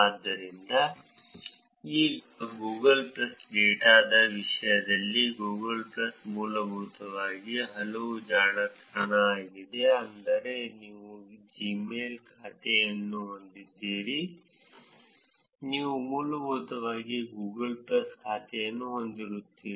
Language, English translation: Kannada, So, now in terms of Google plus data, Google plus is basically a network that is very similar to, I mean, if you have a Gmail account, you essentially have a Google plus account